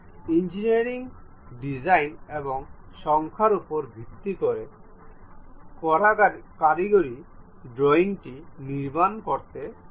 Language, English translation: Bengali, Based on the engineering designs and numbers, the technical drawing one has to construct it